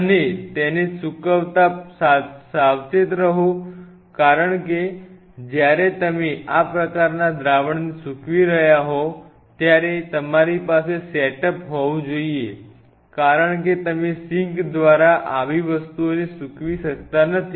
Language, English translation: Gujarati, And be careful about draining it because when you are draining these kinds of solutions you should have a setup because you cannot drain such things through the sink